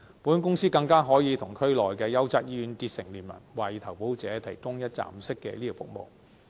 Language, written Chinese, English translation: Cantonese, 保險公司更可以與區內的優質醫院結成聯盟，為投保者提供一站式的醫療服務。, Insurance companies can also ally with well - established hospitals in the Bay Area to provide one - stop medical services for the insured